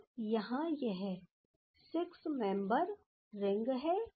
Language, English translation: Hindi, So, here it is 6 membered ring